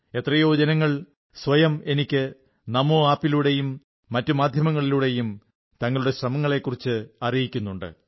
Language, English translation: Malayalam, There are many people who are conveying their efforts to me through the NAMO app and other media